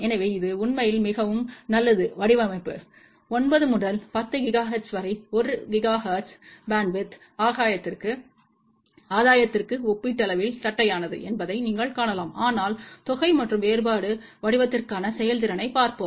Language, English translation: Tamil, So, it is actually a fairly good design, you can see that from 9 to 10 gigahertz almost for 1 gigahertz bandwidth gain is relatively flat , but let us see the performance for sum and difference pattern